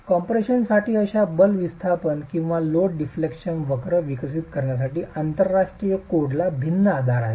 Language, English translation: Marathi, International codes have different basis for developing such force displacement or load deflection curves for compression